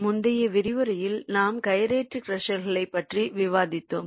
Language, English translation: Tamil, so in the previous lecture we are discussing about the gyratory crushers